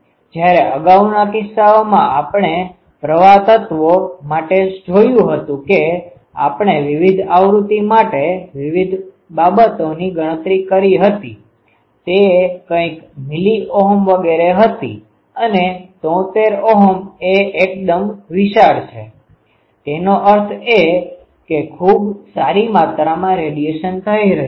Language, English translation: Gujarati, Whereas, in previous cases we have seen for current elements it was in we have calculated various thing ah um for various frequencies it was some milliohm etcetera, 73 ohm is quite sizable; that means, quite a good amount of radiation is taking place